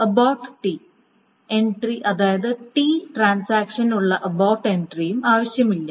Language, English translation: Malayalam, The abort entry for the transaction T is also not needed